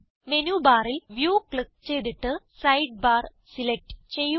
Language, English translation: Malayalam, From Menu bar, click View, select Sidebar, and then click on Bookmarks